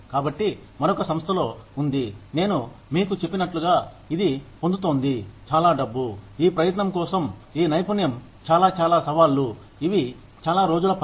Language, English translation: Telugu, So, so and so is in another organization, like I just told you, is getting, this much money, for this much of effort put, in this much of skill, these many challenges, these many days of work